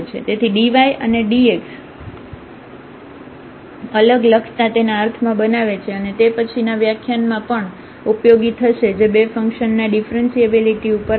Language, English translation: Gujarati, So, writing this dy and dx separately makes sense and that we will also use now in the in the in the next lecture which will be on the differentiability of the two functions